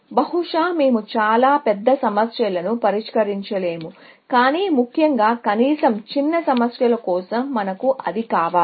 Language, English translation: Telugu, Maybe, we cannot solve very big problems, but at least, for the smaller problems, we want that, essentially